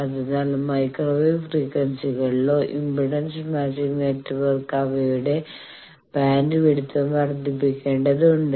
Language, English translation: Malayalam, So, impedance matching network in micro frequencies they need to also increase their bandwidth